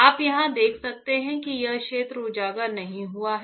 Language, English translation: Hindi, You can see here this area is not exposed